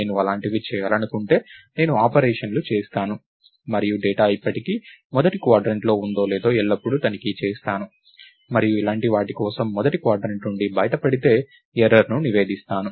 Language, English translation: Telugu, If I want to do things like that, then I will do operations and always check whether the data is still in the first quadrant or not, and report an error if it gets out of the first quadrant for things like this